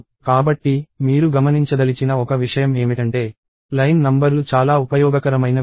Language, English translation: Telugu, So, one thing that I want you to observe is that the line numbers are a very useful thing